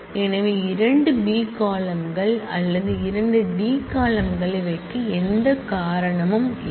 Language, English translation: Tamil, So, there is no reason to keep 2 B columns or 2 D columns